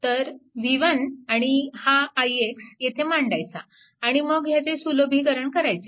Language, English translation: Marathi, So, so v 1 so, this i x has to be substitute here and you have to simplify it